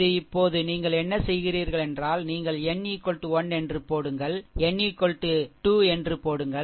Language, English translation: Tamil, This is your now what you do is you put n is equal to 1, n is equal to 2 and n is equal to 3